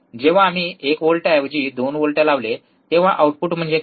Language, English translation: Marathi, When we applied 2 volts instead of 1 volt, what is the output